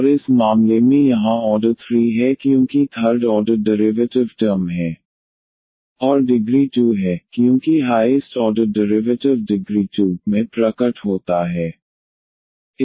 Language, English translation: Hindi, And in this case here the order is 3 so because third order derivative terms are there and the degree is 2, because the highest order derivative appears in degree 2